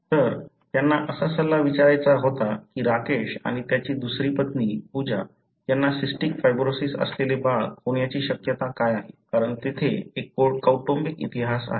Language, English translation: Marathi, So, the advice they wanted to ask was what is the probability that Rakesh and his second wife, Pooja will have a baby with cystic fibrosis, because there is a family history